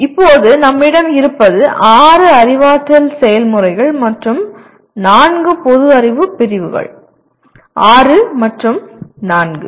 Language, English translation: Tamil, Now what we have is there are six cognitive processes and four general categories of knowledge, six and four